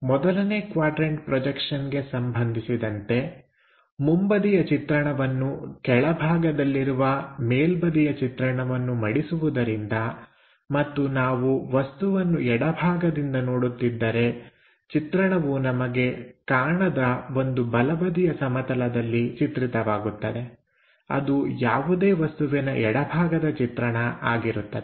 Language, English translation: Kannada, In case of 1st quadrant system, the front view after folding it from top view comes at bottom and if we are looking from left hand side, the view comes on to the projection onto this opaque plane of left hand side uh to the right side